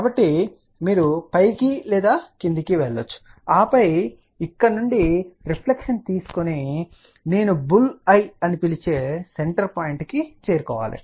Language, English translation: Telugu, So, you can go either up or down and then from here take the reflection and then reach to the center point which I always call bulls eye